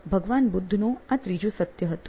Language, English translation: Gujarati, This was Lord Buddha’s third truth